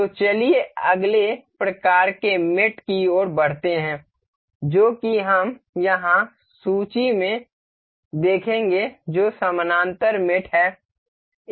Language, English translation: Hindi, So, let us move onto the next kind of mate that is we will see here in the list that is parallel mate